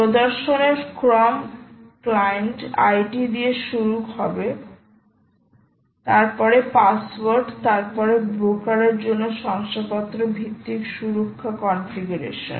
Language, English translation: Bengali, the sequence of demonstrations will start with client id, followed by password, then followed by certificate based ah security configuration for brokers